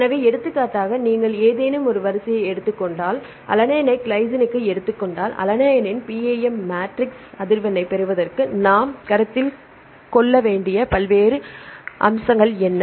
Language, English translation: Tamil, So, for example, if you take any sequence for example, if you take alanine to glycine what are the different aspects we need to consider to derive the PAM matrix frequency of alanine right first we need a frequency of alanine and then; Mutation